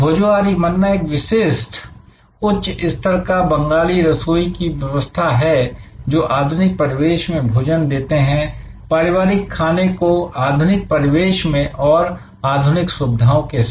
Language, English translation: Hindi, So, we also discussed yesterday, Bhojohori Manna a specialised high quality Bengali cuisine offered in modern ambiance, traditional food in modern ambiance in modern facilities